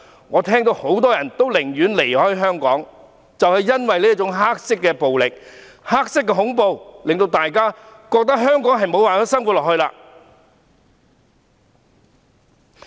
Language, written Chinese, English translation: Cantonese, 我聽到很多人寧願離開香港，就是因為這種黑色暴力和黑色恐怖，令到大家覺得無法在香港生活下去。, I heard that many people would rather leave Hong Kong now because this kind of black violence and black terror have made them unable to carry on with their lives in Hong Kong